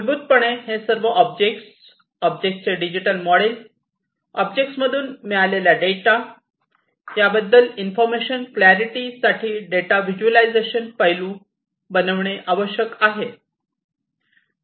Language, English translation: Marathi, So, basically you know all these different objects, the digital models of these different objects, the data that are procured from these objects, these will have to be visualize, the data visualization aspect of it for information clarity